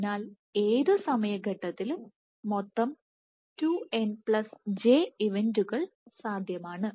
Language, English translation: Malayalam, So, there are total of 2n+j events possible at any time step